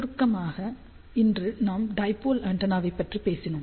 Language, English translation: Tamil, So, just to summarize today we talked about dipole antenna